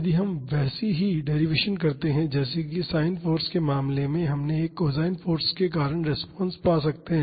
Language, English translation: Hindi, If we do a similar derivation as in the case of sin force, we can find the response due to a cosine force